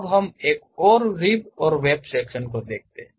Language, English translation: Hindi, Now, let us look at another rib and web section